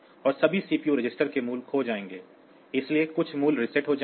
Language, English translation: Hindi, And the values of all the CPU registers will be lost, so that they some of the values will be reset